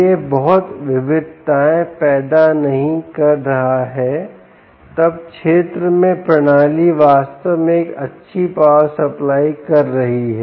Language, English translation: Hindi, its not generating lot of variations, the, then the system in in field, indeed, is doing a good power supply at all